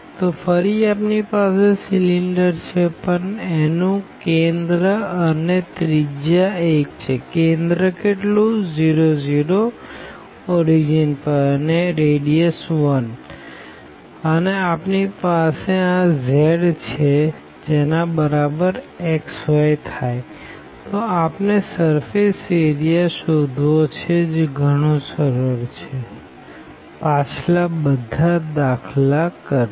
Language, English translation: Gujarati, So, again we have the cylinder, but it is it is a cylinder with center 0 0 and radius 1 and we have this z is equal to x y we want to get the surface area